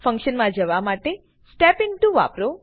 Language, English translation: Gujarati, Use Step Into to go into the function